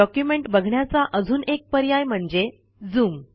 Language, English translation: Marathi, Another option for viewing the document is called Zoom